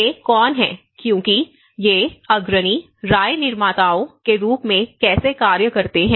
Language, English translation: Hindi, So, who are these because these pioneers how the act as opinion makers